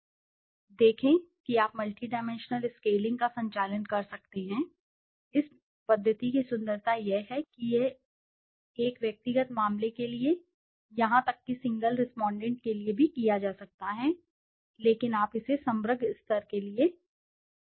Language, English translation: Hindi, See you can conduct multidimensional scaling; the beauty of this method is that it can done for a individual case, even single respondent, but you can also do it for aggregate level